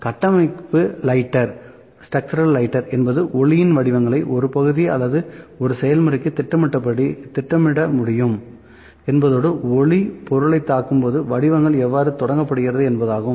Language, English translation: Tamil, So, by structural lighter means, that this can be project a pattern of light on to a part or a process when it is happening and how the pattern is started when the light hits the object